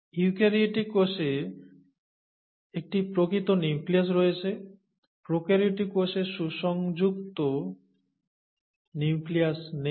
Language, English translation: Bengali, Eukaryotic cell has a true nucleus, a prokaryotic cell does not have a well defined nucleus